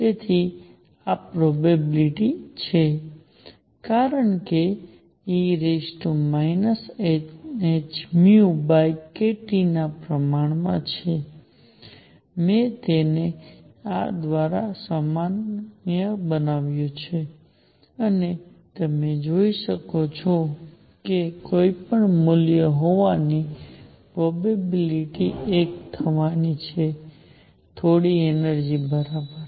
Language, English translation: Gujarati, So, this is the probability because this is proportional to e raised to minus n h nu by k T, I normalized it by this and you can see that the net the probability of having any value is going to be one; some energy, right